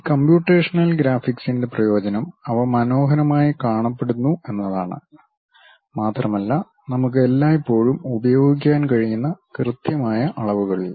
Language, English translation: Malayalam, The advantage of these computational graphics is they look nice and over that precise dimensions we can always use